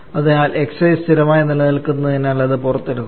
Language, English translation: Malayalam, And therefore xi remains constant so taking that out